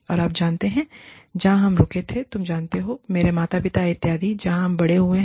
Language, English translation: Hindi, And, you know, the place, where we stayed, you know, my parents and so, where we grew up